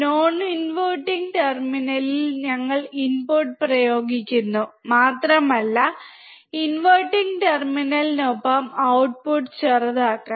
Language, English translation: Malayalam, we are applying input at the non inverting terminal, and we have to just short the output with the inverting terminal